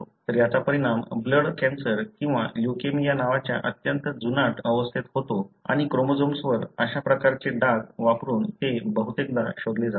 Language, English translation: Marathi, So, this result in a very chronic condition called the blood cancer or leukemia and this is often detected using this kind of staining on the chromosomes